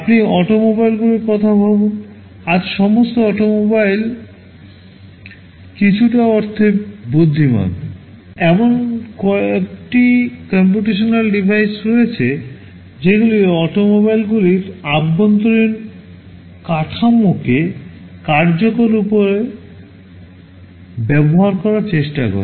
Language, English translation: Bengali, You think of automobiles; today all automobiles are intelligent in some sense, there are some computational devices that try to utilize the infrastructure inside those automobiles in an efficient way